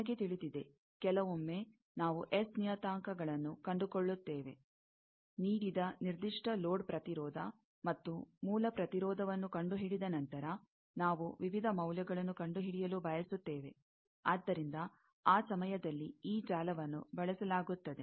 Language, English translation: Kannada, You know that, sometimes, we find the S parameters after finding, given a particular load impedance and source impedance, we want to find, what are the various values; so, that time, this network is used